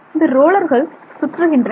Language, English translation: Tamil, The rollers rotate